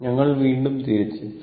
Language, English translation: Malayalam, So, we are back again